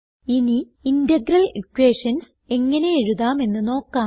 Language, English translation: Malayalam, Now let us see how to write Integral equations